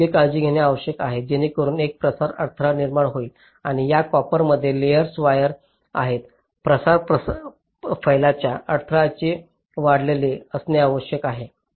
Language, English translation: Marathi, so proper care has to be taken so that a diffusion barrier is created, and this copper layers are wires must be surrounded by the diffusion barrier